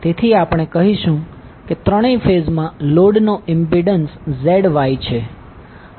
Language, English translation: Gujarati, So we will say the impedance of the load is Z Y in all three phases